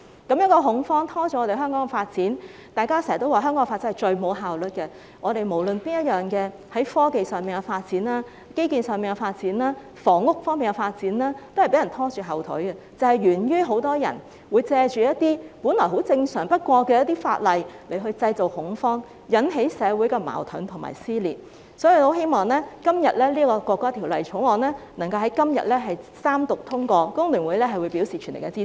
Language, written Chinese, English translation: Cantonese, 這種恐慌會拖累香港的發展，大家經常說香港的發展最缺乏效率，無論是在科技、基建或房屋方面的發展都被人拖後腿，就是源於很多人會藉着一些本來很正常的法例來製造恐慌，引起社會矛盾和撕裂，所以我很希望《條例草案》能夠在今天三讀通過，工聯會表示全力支持。, Such kind of panic will drag down the development of Hong Kong . We often say that the development of Hong Kong is the least efficient whether it is in the technological infrastructural or housing aspects our development has been held back because many people would make use of some laws which are actually very normal to create panic thereby stirring up social conflicts and dissension . Therefore I hope very much that the Third Reading of the Bill can be passed today and FTU gives its full support